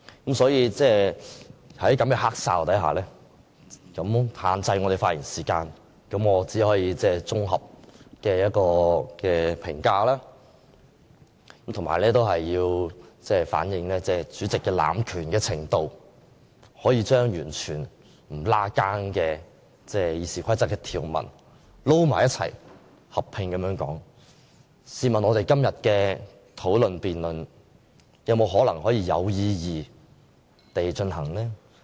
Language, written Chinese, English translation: Cantonese, 因此，在這樣的"黑哨"下，他這樣限制我們的發言時間，我只可以作綜合評價及反映主席濫權的程度，他可以將完全不相關的《議事規則》條文作合併辯論，試問我們今天的辯論還可以有意義地進行嗎？, So with this flagrant match - fixing under which he restricts our speaking time like this I can only make some general comments and reflect the magnitude of Presidents power abuse . When he can go so far as to squeeze all the totally unrelated provisions of the Rules of Procedure RoP into one joint debate how can we possibly debate meaningfully today?